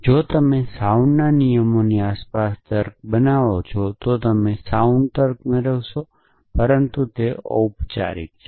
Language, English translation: Gujarati, If you build logic around sound rules you will get a sound logic it, but everything is formal essentially